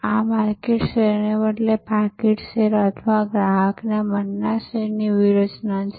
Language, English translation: Gujarati, This is the strategy of wallet share or customer mind share rather than market share